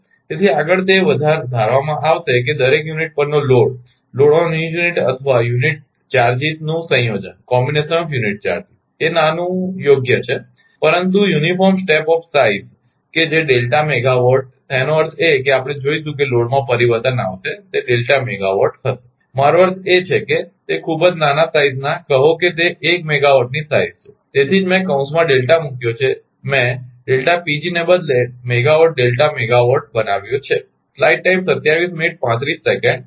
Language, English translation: Gujarati, So, further ah it shall be assumed that the load on each unit, or combination of unit charges is your suitably small, but uniform step of size that delta megawatt; that means, we will see that that changes in a load it will delta megawatt, I mean very small size say it is step of 1 megawatt say that is why I have put delta in bracket I have made megawatt delta megawatt instead of delta Pg right